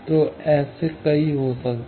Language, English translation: Hindi, So, there may be several such